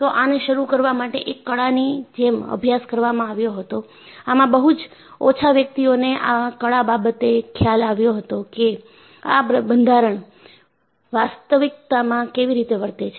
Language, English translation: Gujarati, So, it was practiced more like an art to start with; only, a very few individuals, who had an idea, how the structure would behave in reality